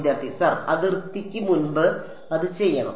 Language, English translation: Malayalam, Sir before the boundary it should